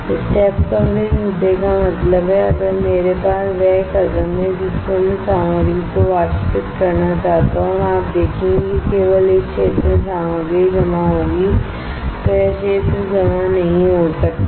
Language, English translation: Hindi, Step Coverages issue means, if I have the step on which I want to evaporate the material and you will see only in this area the material is deposited, this area cannot get deposited